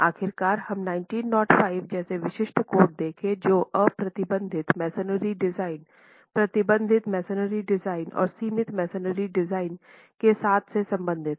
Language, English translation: Hindi, Eventually we will see specific codes such as 1905 which deals with unreinforced masonry design to deal with reinforced masonry design and confined masonry designs